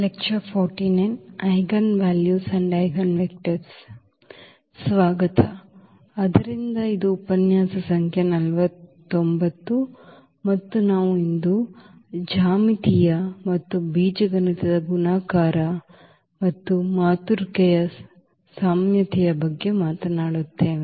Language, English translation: Kannada, Welcome back, so this is lecture number 49 and we will be talking about today the geometric and algebraic multiplicity and the similarity of matrices